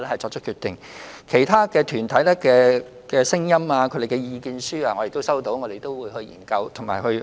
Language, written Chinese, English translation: Cantonese, 至於其他團體的建議和意見書，我們已經收到，將會研究和審視。, We will also study and consider the proposals and submissions received from other groups